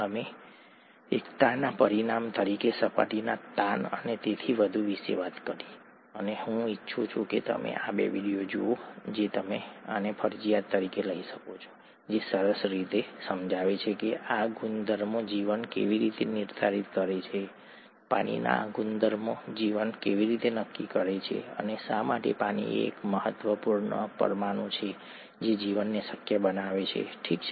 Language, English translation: Gujarati, We talked of surface tension and so on as an outcome of cohesion, and I would like you to watch these two videos, you can take these as compulsory, which explain nicely how these properties determine life, how these properties of water determine life and why water is such an important molecule which makes life possible, okay